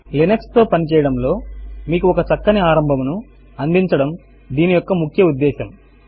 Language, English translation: Telugu, The main motivation of this is to give you a headstart about working with Linux